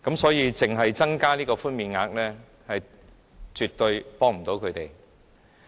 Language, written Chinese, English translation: Cantonese, 所以，只增加寬免額絕對幫不了他們。, So a mere increase in the concession amount will absolutely not help them